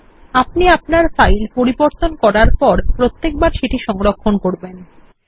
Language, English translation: Bengali, Remember to save your file every time you make a change